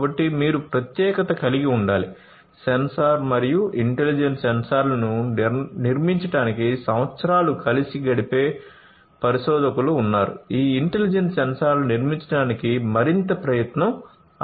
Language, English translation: Telugu, So, you need to be specialized, you know, there are researchers who spend years together to build a sensor and intelligent sensors it will take even more you know effort to build these intelligent sensors